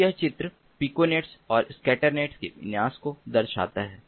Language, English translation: Hindi, so this is the diagram showing the configuration of piconet and scatter net